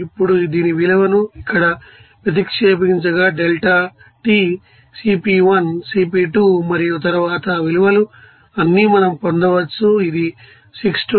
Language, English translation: Telugu, Now, substituting the value of this, you know, here delta T and then Cp1, Cp2, all those values then we can get this will be around 6207